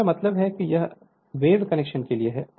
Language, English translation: Hindi, So, I mean it is for wave connection